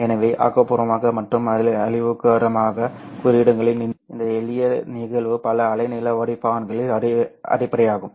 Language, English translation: Tamil, So this simple phenomenon of constructive and destructive interferences is the basis of many wavelength filters